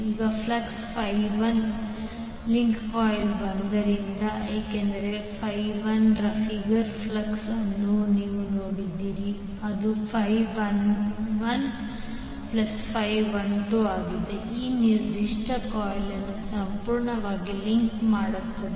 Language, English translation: Kannada, Now since flux phi 1 links coil 1 because the if you see the figure flux of phi 1 that is phi 11 plus phi into is completely linking this particular coil one